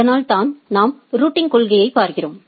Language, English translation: Tamil, That is what we look at the routing policy